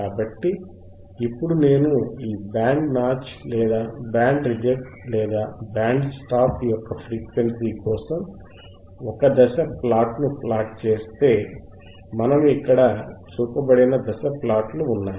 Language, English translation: Telugu, Then I will see here if you if you want to have a phase plot for frequency forof this band notch filter or band reject filter or band stop filter, then we have phase plot which is shown here in here right